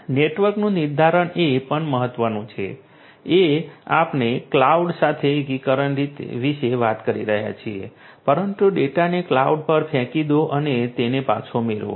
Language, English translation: Gujarati, Determinism of the network is also important we are talking about integration with cloud, but throwing the data out to the cloud and getting it back